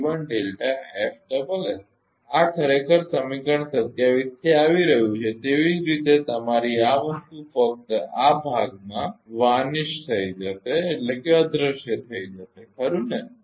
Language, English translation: Gujarati, This is actually coming from equation 27 similarly your ah this thing only this part will be vanished right